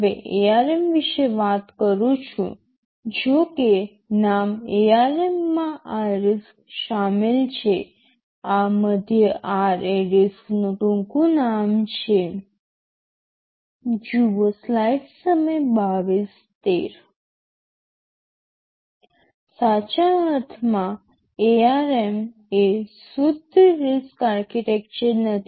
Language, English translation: Gujarati, Now talking about ARM, well although the name ARM contained this RISC this middle R is the acronym for RISC,